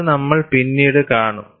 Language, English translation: Malayalam, We would see later